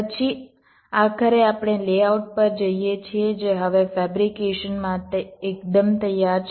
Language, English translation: Gujarati, then, finally, we go down to the lay out, which is now quite ready for fabrication